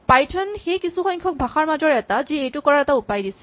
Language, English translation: Assamese, Python is one of the few languages which actually provide way to do this